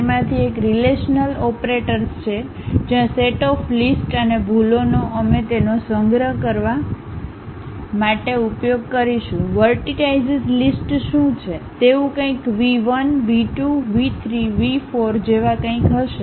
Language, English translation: Gujarati, One of them is relational operators, where a set of lists and errors we will use it to store; something like what are the vertex list, something like V 1, V 2, V 3, V 4